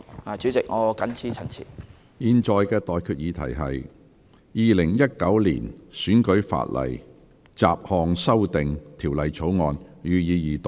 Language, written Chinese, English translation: Cantonese, 我現在向各位提出的待決議題是：《2019年選舉法例條例草案》，予以二讀。, I now put the question to you and that is That the Electoral Legislation Bill 2019 be read the Second time